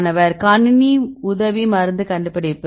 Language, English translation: Tamil, Computer aided drug discovery